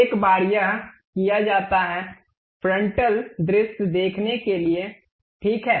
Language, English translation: Hindi, Once it is done go to frontal view, ok